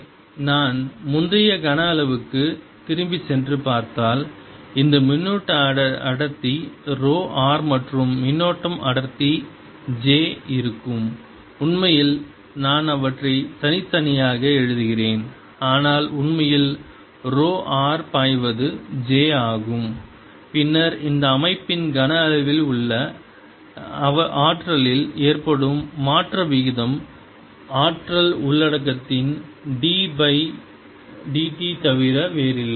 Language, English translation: Tamil, so two ways we have seen that the power delivered is j dot e and therefore, if i see, if i go back to my earlier volume in which there is this charge density, rho r and current density j actually i am writing them separately, but actually rho r flowing is j then the rate of change in the energy of this system inside this volume is nothing but d by d, t of the energy content, and i should remove this d by d t, this is nothing but e dot j integrated over the volume of this region